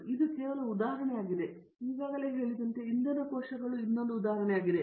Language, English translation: Kannada, This is only one example, another example is as you have already said is fuel cells